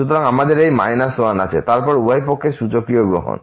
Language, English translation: Bengali, So, we have this minus 1 and then taking the exponential both the sides